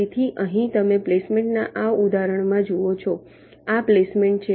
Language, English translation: Gujarati, so here you see, in this example of a placement